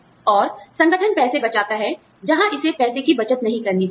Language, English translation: Hindi, And, the organization saves money, where it should not be saving money